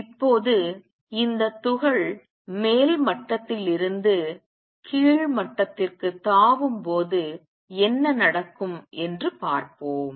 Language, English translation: Tamil, Now, let us see what happens when this particle makes a jump from an upper level to a lower level